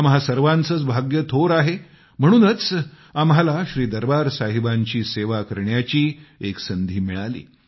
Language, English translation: Marathi, It is the good fortune of all of us that we got the opportunity to serve Shri Darbaar Sahib once more